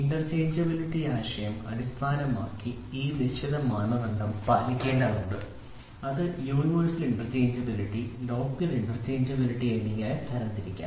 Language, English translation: Malayalam, So, this certain standard needs to be followed based on the interchangeability concept and that can be categorized as universal interchangeability and local interchangeability